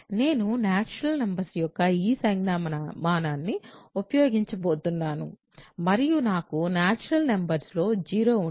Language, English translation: Telugu, So, I am going to use this notation for natural numbers and for me natural numbers include 0